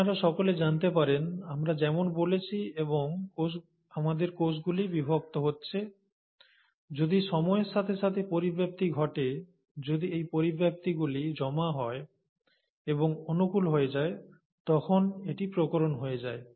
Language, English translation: Bengali, For all you may know, as we are talking and as are our cells dividing, if mutations are taking place with time, and if these mutations accumulate and become favourable, it becomes a variation